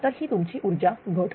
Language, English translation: Marathi, So, that will be your energy loss